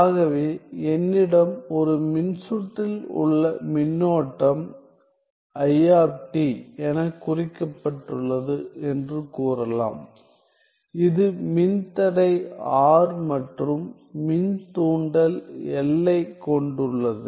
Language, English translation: Tamil, So, let us say I have the current the current in a circuit denoted by I of t which has resistance R and inductance L